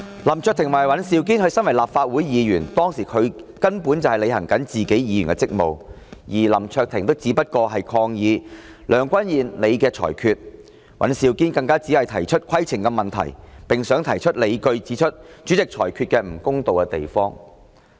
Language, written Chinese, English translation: Cantonese, 林卓廷議員及尹兆堅議員作為立法會議員，當時根本在履行議員的職務，而林議員只是抗議梁君彥主席的裁決，尹議員更只是提出規程問題，並想提出理據，指出主席裁決不公道之處。, At the time of the incident Mr LAM Cheuk - ting and Mr Andrew WAN were discharging their duties as legislators . Mr LAM was merely protesting against the ruing of President Mr Andrew LEUNG while Mr WAN was simply raising a point of order in an attempt to explain the unfairness in the Presidents ruling